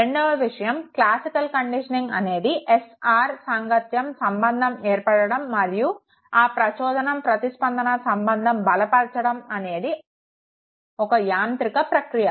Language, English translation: Telugu, In classical conditioning it is a mechanistic process of formation and strengthening of the SR association, the stimulus response association